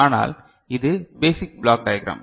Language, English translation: Tamil, So, but this is the basic block diagram right